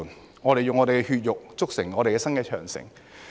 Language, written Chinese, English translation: Cantonese, 把我們的血肉，築成我們新的長城！, With our flesh and blood let us build a new Great Wall!